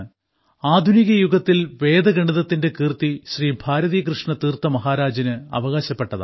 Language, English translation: Malayalam, The credit of Vedic mathematics in modern times goes to Shri Bharati Krishna Tirtha Ji Maharaj